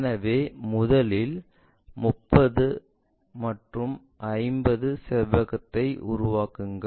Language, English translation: Tamil, So, first of all construct 30 by 50 rectangle